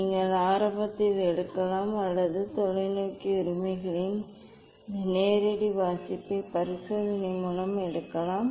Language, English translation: Tamil, either you can take at the beginning or you can take at the end of the experiment this direct reading of the telescope rights